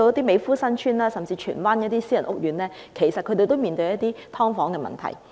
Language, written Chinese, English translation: Cantonese, 美孚新邨，甚至荃灣的一些私人屋苑，其實亦正面對"劏房"問題。, Mei Foo Sun Chuen and even a number of private housing estates in Tsuen Wan also face the problem of subdivided units